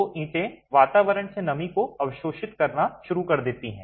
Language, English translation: Hindi, So, the brick starts absorbing moisture from the atmosphere